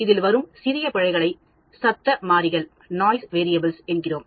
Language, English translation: Tamil, In statistics these are called Noise Variables